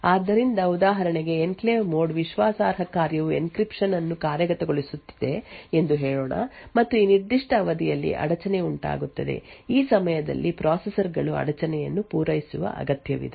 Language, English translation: Kannada, So, for example let us say that the enclave mode trusted function let say an encryption is executing and during this particular period an interrupt occurs during this time the processors would require to service the interrupt